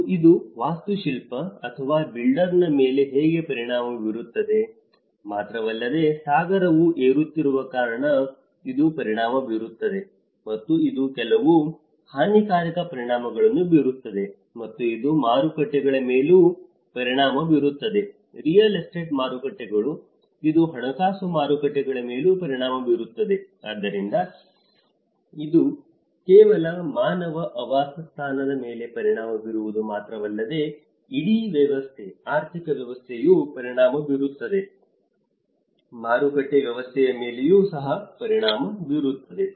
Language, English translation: Kannada, And not only that it will also how it will affect an architect or a builder, it will affect because the ocean is rising and it will have some disastrous effects, and it may also affect the markets; the real estate markets, it will also affect the financial markets so, there has been it is not just only about affecting the human habitat but the whole system, the economic system also is affected, the market system is also affected